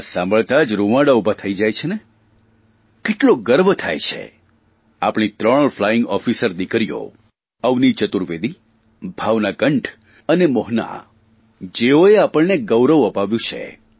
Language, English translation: Gujarati, You get goose pimples just at the mention of 'women fighter pilots'; we feel so proud that these three Flying Officer daughters of ours Avni Chaturvedi, Bhawna Kanth and Mohana, have achieved this great feat